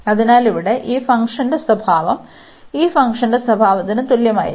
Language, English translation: Malayalam, So, the behavior of this function here will be the same as the behaviour of this function